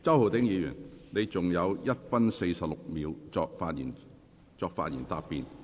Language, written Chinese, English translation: Cantonese, 周浩鼎議員，你還有1分46秒作發言答辯。, Mr Holden CHOW you still have 1 minute 46 seconds to reply